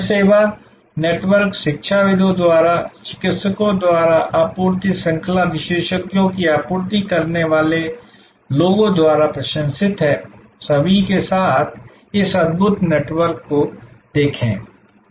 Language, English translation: Hindi, This service network is admired by academicians, by practitioners, the people who are supply chain experts; look at this wonderful network with all